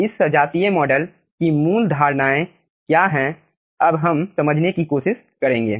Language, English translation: Hindi, what are the basic assumptions of this homogeneous model that also you will be understanding